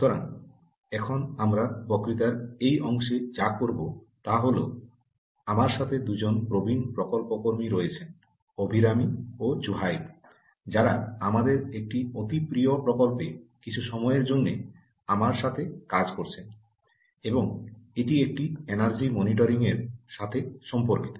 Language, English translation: Bengali, so, ah, now, what we will do in this part of the lecture is, ah, i have two very senior project staff with me, abhirami and zuhaib, who are working with me for sometime on a very pet project of ours and that is related to um, a energy monitoring